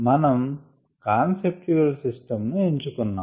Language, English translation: Telugu, let us choose a conceptual system